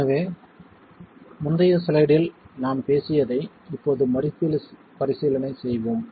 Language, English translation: Tamil, So now let's reexamine what we talked about in the previous slide